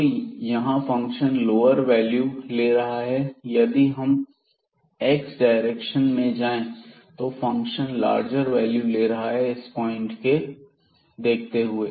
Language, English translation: Hindi, So, here the function is taking lower values, but if we take in go in the direction of x then the function is taking the more values or the larger values then this point itself